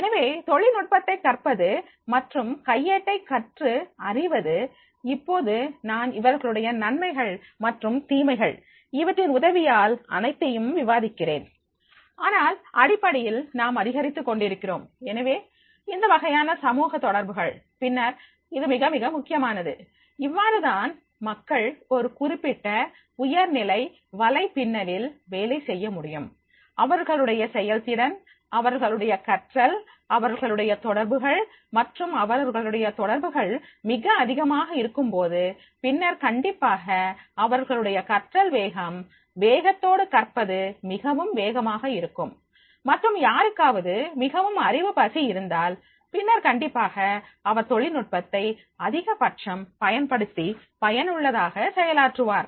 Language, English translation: Tamil, Now everything I will discussing with the advantages and disadvantage of these but basically whenever we are increasing so these type of these social stay connected then it becomes very very important that is the how the people they will be able to work on this particular high level of networking, their efficiency, their learning, their connectivity and when their connectivity is so high, then definitely their learning speed of learning will be very fast and if somebody is very hungry for knowledge, then definitely he will make the maximum use of the technology and performing effectively